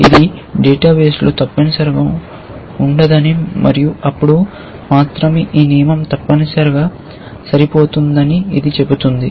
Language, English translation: Telugu, This says that it must be absent in the database and only then this rule will match essentially